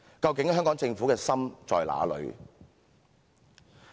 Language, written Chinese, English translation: Cantonese, "究竟香港政府的心在哪裏？, So where exactly is the heart of the Government?